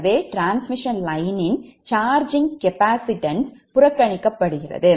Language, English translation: Tamil, so charging, capacitance of the transmission line are ignored